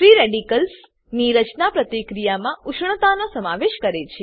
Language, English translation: Gujarati, Formation of free radicals involves heat in the reaction